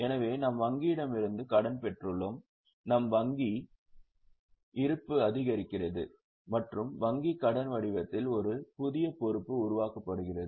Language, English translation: Tamil, So, we have obtained loan from bank, so we receive our bank balance increases and a new liability in the form of bank loan is created